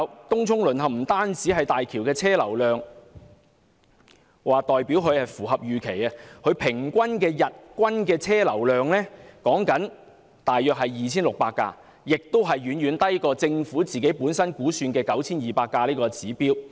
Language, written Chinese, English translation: Cantonese, 東涌淪陷並不代表港珠澳大橋的車流量符合預期，大橋日均車流量只有大約 2,600 架次，遠低於政府估算的 9,200 架次的指標。, The fall of Tung Chung does not mean that the traffic flow of HZMB meets the estimate . The daily average traffic throughput of the Bridge is merely around 2 600 vehicles which is much lower than the estimated target of 9 200 vehicles